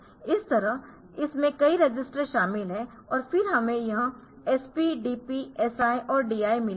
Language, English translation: Hindi, So, like that it consists of a number of registers and then we have got this SP, DP, SI and DI